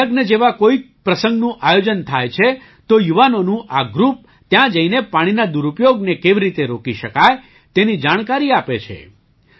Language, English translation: Gujarati, If there is an event like marriage somewhere, this group of youth goes there and gives information about how misuse of water can be stopped